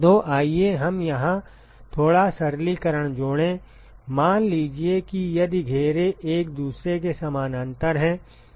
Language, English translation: Hindi, So, let us add a little bit simplification here, suppose if the enclosures are parallel to each other